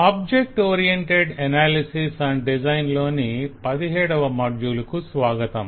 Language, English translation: Telugu, welcome to module 17 of object oriented analysis and design